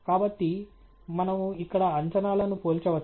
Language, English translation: Telugu, So, we can compare the predictions here